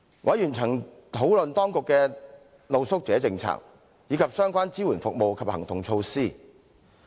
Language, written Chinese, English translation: Cantonese, 委員曾討論當局的露宿者政策，以及相關支援服務及行動措施。, Members have also discussed the Governments policies on street sleepers as well as the relevant support services and actionsmeasures